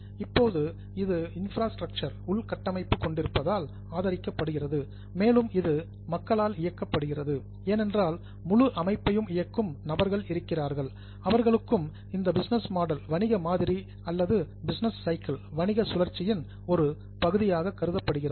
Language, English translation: Tamil, Now, it is supported by infrastructure and it is operated by people because there are people who are essentially running the whole system, they are also the part of business model or business cycle